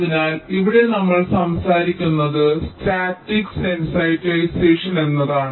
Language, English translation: Malayalam, so here we talk about something called static sensitization